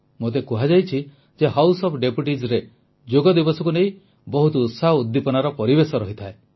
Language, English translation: Odia, I have been told that the House of Deputies is full of ardent enthusiasm for the Yoga Day